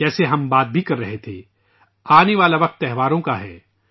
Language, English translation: Urdu, Like we were discussing, the time to come is of festivals